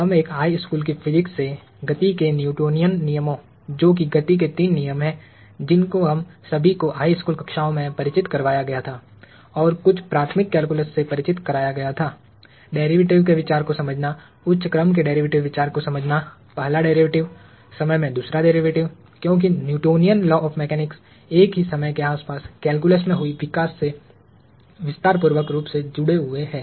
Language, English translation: Hindi, We do expect a basic understanding of high school physics, which is starting with Newtonian laws of motion – the three laws of motion that we were all introduced to in high school and some elementary calculus – understanding the idea of a derivative, understanding the idea of a higher order derivative, a first derivative, second derivative in time, because Newtonian laws of mechanics are intricately linked to developments that happened in calculus around the same time